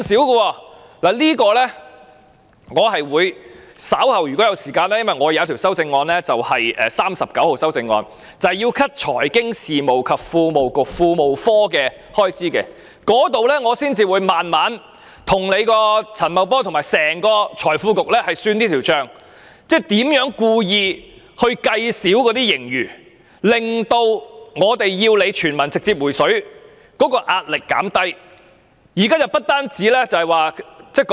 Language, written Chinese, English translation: Cantonese, 就此，如果我稍後有時間——我的修正案編號39正正提出削減財經事務及庫務局的預算開支——我會再慢慢跟陳茂波和財經事務及庫務局算這筆帳，即他們如何故意估少盈餘，以圖減低我們要求他們直接向所有市民"回水"的壓力。, In this regard if I have time later on―my Amendment No . 39 precisely proposes to cut the estimated expenditure for the Financial Services and the Treasury Bureau ―I will settle the score with Paul CHAN and the Financial Services and the Treasury Bureau as to how they have deliberately underestimated the surplus amount in an attempt to reduce the pressure arising from our demand for a direct cash handout to all people